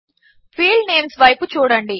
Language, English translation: Telugu, Look at the field names